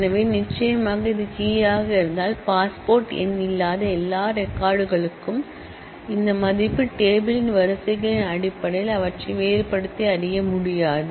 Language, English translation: Tamil, So, certainly if this were to be the key then for all records, for which passport number is nil, this value would not be able to distinguish them in terms of the rows of the table